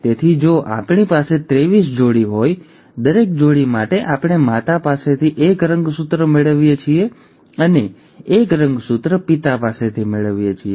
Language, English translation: Gujarati, So if we have twenty three pairs; for each pair we are getting one chromosome from the mother, and one chromosome from the father